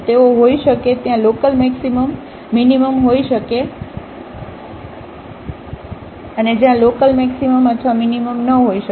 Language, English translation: Gujarati, They may be there may be local maximum minimum there may not be a local maximum or minimum